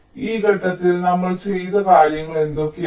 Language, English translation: Malayalam, so in this step, what are the things that we have done